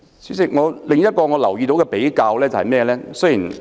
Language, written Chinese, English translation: Cantonese, 主席，另一個我留意到的比較是甚麼？, President there is another comparison that has caught my attention